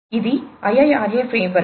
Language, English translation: Telugu, This is the IIRA framework